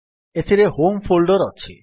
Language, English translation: Odia, In this, we have the Home Folder